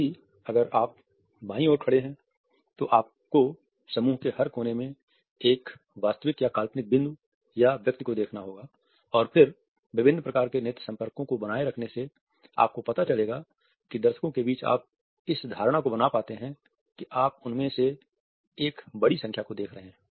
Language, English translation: Hindi, At the same time if you are standing on the left turn, then you also have to peg a real or imaginary point or person in every corner of the group and then by maintaining different types of eye contacts you would find that you can create this impression among the audience that you are looking at a larger number of them